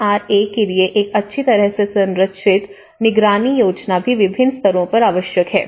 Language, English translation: Hindi, A well structured monitoring plan for the NRAs also needed at different levels